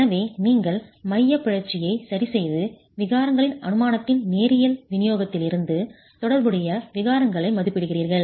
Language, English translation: Tamil, So, you are fixing the eccentricity and then estimating the corresponding strains from the linear distribution of strains assumption